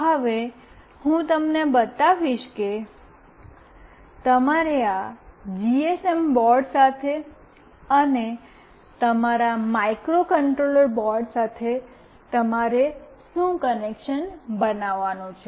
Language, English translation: Gujarati, Now I will be showing you what connection you have to make with this GSM board, and with your microcontroller board